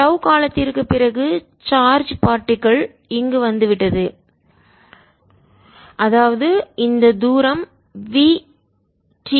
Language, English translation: Tamil, after time t with charge particle, come here, this distance between v, t and now